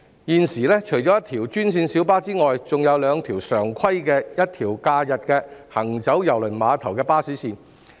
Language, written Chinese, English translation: Cantonese, 現時除一條專線小巴外，還有兩條常規及一條假日行走郵輪碼頭的巴士線。, At present apart from one green minibus route there are two regular bus routes and one holiday bus route serving KTCT